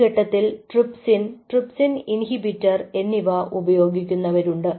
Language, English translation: Malayalam, there are people who use a at this stage, trypsin and trypsin inhibitor